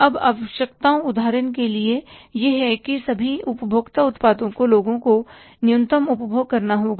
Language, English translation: Hindi, Now, necessities is that say for example all the consumer products, people have to consume minimum